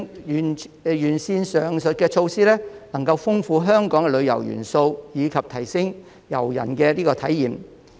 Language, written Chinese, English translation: Cantonese, 完善上述措施能豐富香港旅遊元素，以及提升遊人的體驗。, Improving the above measures can enrich Hong Kongs tourism elements and enhance visitors experience